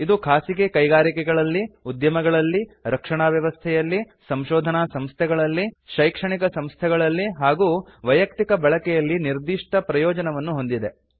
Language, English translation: Kannada, This is obvious advantage for Private Industries, Entrepreneurs, Defence Establishments, Research Organisations, Academic Institutions and the Individual User